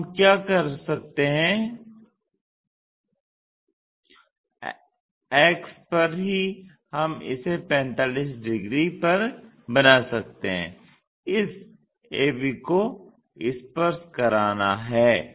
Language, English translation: Hindi, So, what we can do is on the axis itself we can construct it at 45 degrees this a b has to touch